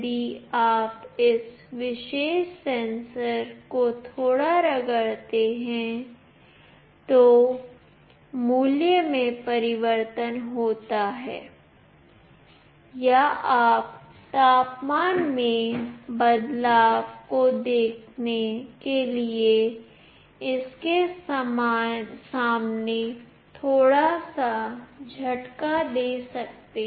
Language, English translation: Hindi, If you rub this particular sensor a bit, the value changes or you can just blow a little bit in front of it to see the change in temperature